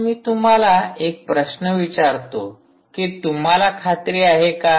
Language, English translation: Marathi, now i want to ask you a question: how are you sure